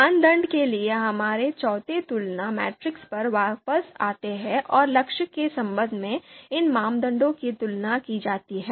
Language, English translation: Hindi, Now let’s come back to our fourth comparison matrix that is for criteria and these criteria are to be compared with respect to goal